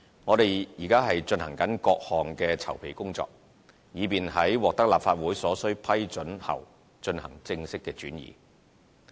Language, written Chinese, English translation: Cantonese, 我們現正進行各項籌備工作，以便在獲得立法會所需批准後進行正式轉移。, We are now making various kinds of preparation for the transfer to take effect after the necessary approval has been obtained from the Legislative Council